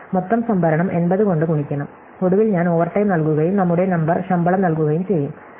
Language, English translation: Malayalam, So, have to multiply the total storage by 80 and finally, when I pay overtime and paying our number the salary